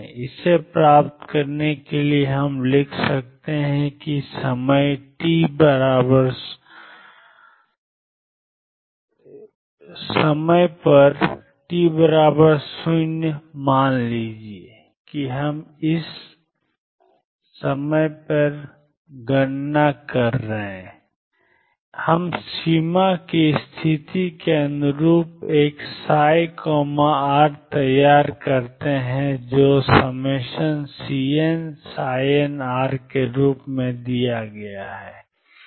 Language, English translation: Hindi, To get this we can write that at time t equal to 0 suppose we prepare a psi r consistent with the boundary condition which is given as summation C n psi n r